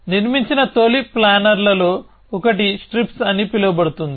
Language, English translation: Telugu, So, one of the earliest planners that was built was called strips